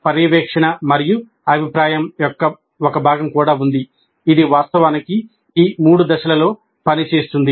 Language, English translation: Telugu, Then there is also a component of monitoring and feedback which actually works throughout all these three phases